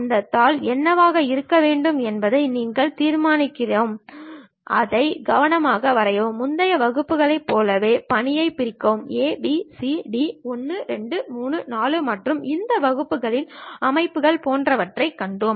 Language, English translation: Tamil, We are the ones deciding what should be that sheet, draw it carefully, divide the task like in the earlier classes we have seen something like division a, b, c, d, 1, 2, 3, 4 and this system of units, and perhaps something like titles labels, all these things we are manually preparing it